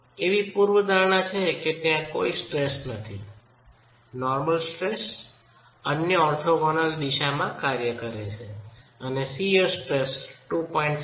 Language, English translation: Gujarati, We are assuming that there is no stress, normal stress acting in the other orthogonal direction and the shear stress is 2